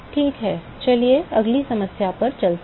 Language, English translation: Hindi, All right let us go to the next problem